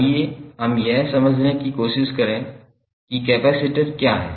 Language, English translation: Hindi, Let us try to understand what is capacitor